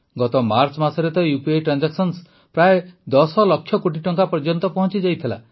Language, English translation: Odia, Last March, UPI transactions reached around Rs 10 lakh crores